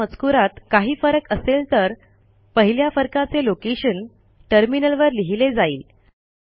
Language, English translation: Marathi, If there are differences in their contents then the location of the first mismatch will be printed on the terminal